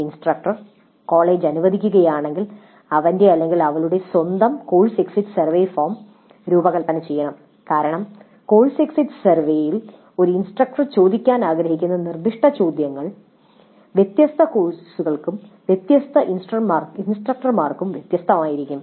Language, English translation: Malayalam, Instructor if permitted by the college should design his, her own course exit survey form because the specific questions that an instructor would like to ask in the course exit survey may be different for different courses and different instructors